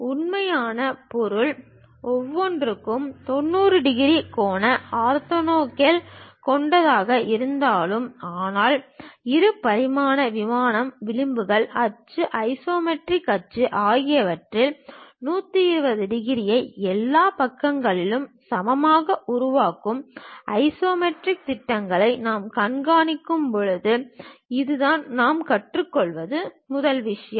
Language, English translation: Tamil, Though the real object having 90 degrees angle orthogonal to each other; but when we are showing isometric projection on the two dimensional plane, the edges, the axis isometric axis those makes 120 degrees equally on all sides, this is the first thing what we learn